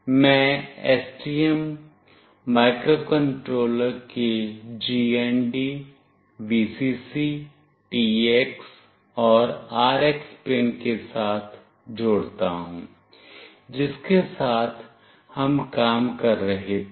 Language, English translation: Hindi, I will be connecting with the GND, Vcc, TX, and RX pins of the STM microcontroller with which we were working